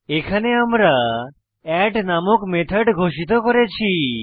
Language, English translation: Bengali, Here we have declared a method called add